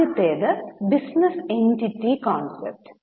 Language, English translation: Malayalam, The first one is business entity concept